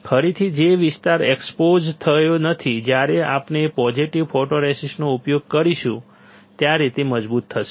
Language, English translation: Gujarati, Again the area which is not exposed will be stronger when we are using positive photoresist